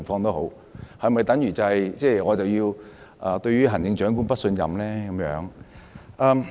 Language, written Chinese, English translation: Cantonese, 縱使如此，是否便等於我要對行政長官投不信任票呢？, Nevertheless does that mean I have to cast a vote of no confidence in the Chief Executive?